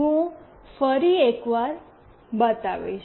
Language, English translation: Gujarati, I will show once more